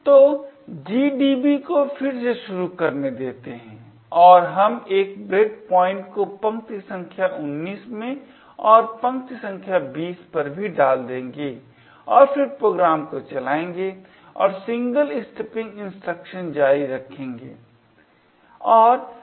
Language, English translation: Hindi, put a breakpoint in line number 19 and also a breakpoint in line number 20 and then run the program and this single step instruction